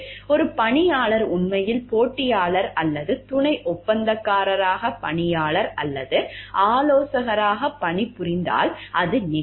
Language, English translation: Tamil, It could occur if an employee is actually working for the competitor or subcontractor as an employee or consultant